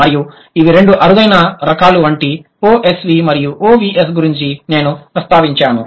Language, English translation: Telugu, And the two rarest types that I mentioned, OSV and OVS